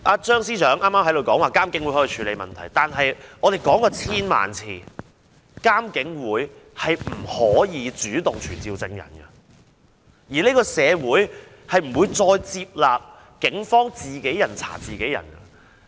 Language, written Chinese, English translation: Cantonese, 張司長剛才說監警會可以處理問題，但我們說了千萬次，監警會不能主動傳召證人，而且社會不會再接納警方自己人查自己人。, Chief Secretary Matthew CHEUNG said earlier that the issue can be handled by IPCC . Yet we have stated a thousand times that IPCC is not empowered to summon witnesses and the community would no longer accept the Police investigating its own men